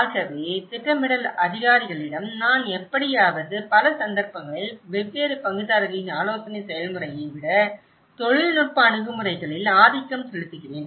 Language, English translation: Tamil, So, as I said to you planning officials somehow in many at cases they are dominant with the technical approaches rather than a consultative process of different stakeholders